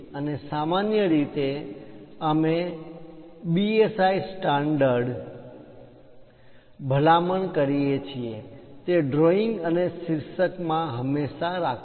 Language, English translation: Gujarati, And usually, we recommend BIS standards; in that drawings and title, always be there